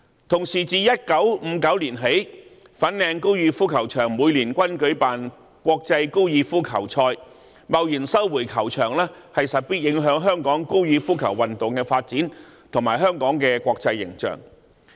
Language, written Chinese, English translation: Cantonese, 同時，自1959年起，粉嶺高爾夫球場每年均舉辦國際高爾夫球賽，貿然收回球場勢必影響香港高爾夫球運動的發展和香港的國際形象。, Moreover since 1959 international golf tournaments have been hosted annually in the Fanling Golf Course . Rash resumption of the golf course will certainly affect the development of golf sport in Hong Kong and Hong Kongs international image